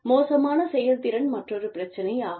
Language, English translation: Tamil, Poor performance, is another one